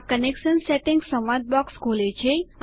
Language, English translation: Gujarati, This opens up the Connection Settings dialog box